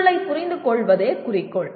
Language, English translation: Tamil, The goal is to understand the context